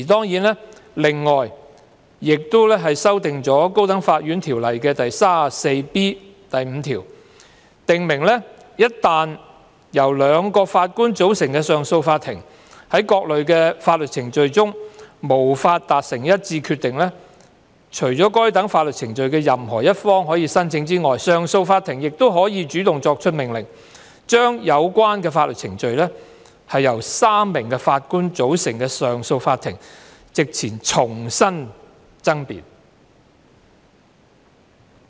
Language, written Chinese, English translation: Cantonese, 《條例草案》亦建議修訂《條例》第 34B5 條，以訂明一旦由2名法官組成的上訴法庭在各類法律程序中無法達成一致決定，除該等法律程序的任何一方可申請外，上訴法庭亦可主動作出命令，將有關法律程序在由3名法官組成的上訴法庭席前重新爭辯。, The Bill also proposes to amend section 34B5 of the Ordinance so that when a two - judge Court of Appeal in various types of proceedings cannot reach a unanimous decision in addition to a party being allowed to apply to re - argue the case before a three - judge Court of Appeal the court may also make such an order on its own motion